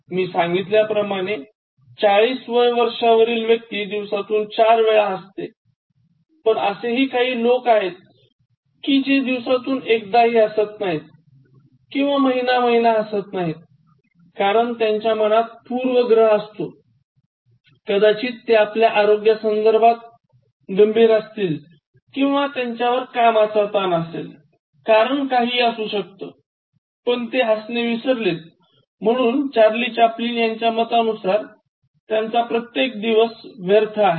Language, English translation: Marathi, And then, when I said that on an average, people above 40 are laughing four times a day, that is an average, but in fact there are people sometimes do not laugh for days, laugh for month together, they are so preoccupied with something very serious, maybe it is related to their health or maybe it is related to the stress induced in job or maybe their inability to perform better whatever it is, but they forget to laugh ,and for Charlie Chaplin, so that means that you have wasted a day